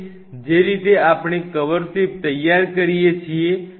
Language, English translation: Gujarati, And exactly the way we prepare the cover slips